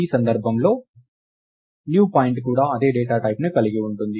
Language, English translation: Telugu, In this case, newPoint is also of the same data type